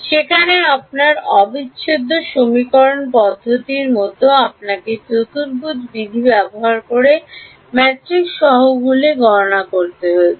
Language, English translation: Bengali, Like in your integral equation approach there you had to calculate the matrix coefficients by using quadrature rule